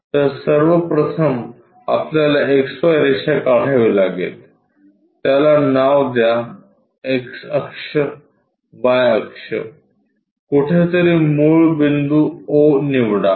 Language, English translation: Marathi, So, first of all we have to draw XY line, name it X axis, Y axis somewhere origin pick it O